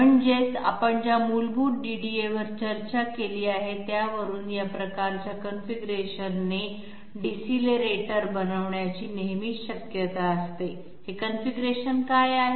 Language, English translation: Marathi, That is, from the basic DDA that we have discussed there is always a possibility to make decelerators with this sort of configuration, what is this configuration